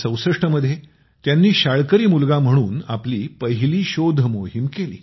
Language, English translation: Marathi, In 1964, he did his first exploration as a schoolboy